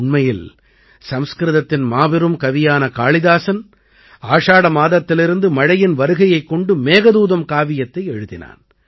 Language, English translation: Tamil, Actually, the great Sanskrit poet Kalidas wrote the Meghdootam on the arrival of rain from the month of Ashadh